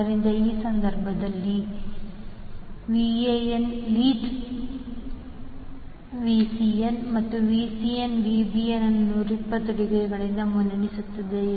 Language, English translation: Kannada, So, in this case Van leaves Vcn and Vcn leads Vbn by 120 degree